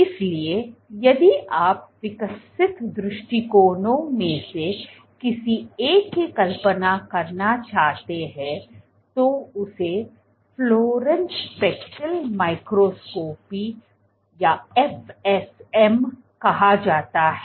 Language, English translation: Hindi, So, you want to visualize, so the approach one of the approaches developed is called fluorescence speckle microscopy or FSM